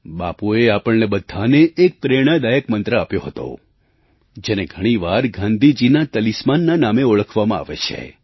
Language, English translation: Gujarati, Bapu gave an inspirational mantra to all of us which is known as Gandhiji's Talisman